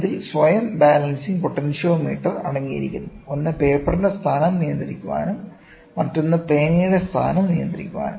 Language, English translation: Malayalam, It consist of self balancing potentiometer; one to control the position of the paper and the other to control the position of the pen